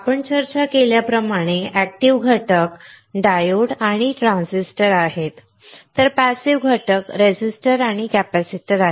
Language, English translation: Marathi, The active components like we discussed are diodes and transistors, while the passive components are resistors and capacitors